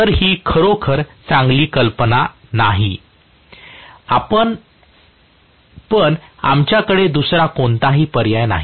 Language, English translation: Marathi, So, it is not really a very good proposition but we do not have any other option